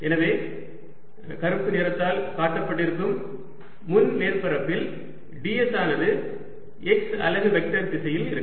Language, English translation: Tamil, so on the front surface shown by black, the d s is going to be in the direction of x unit vector